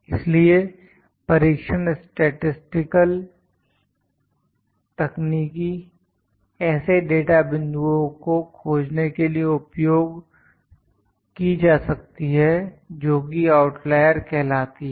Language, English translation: Hindi, So, test statistical techniques can be used to detect such data points which are known as outliers